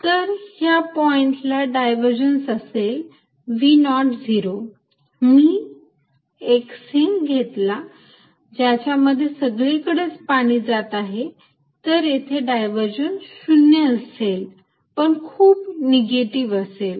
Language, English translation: Marathi, So, this point has divergence of v not zero, if I take a sink in which water is going into it form all around, then again divergence is not zero, but highly negative